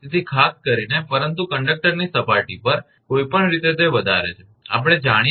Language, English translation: Gujarati, So, particular the, but anyway at the surface of the conductor is higher, we know that q upon 2 pi epsilon 0 into r